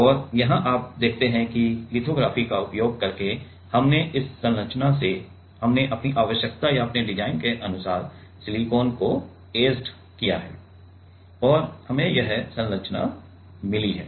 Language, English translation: Hindi, And, here you see that using lithography, we have from this structure, we have etched the silicon according to our requirement or our design and we have got this structure